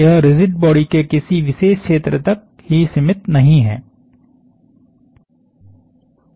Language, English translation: Hindi, It is not restricted to a particular region of the rigid body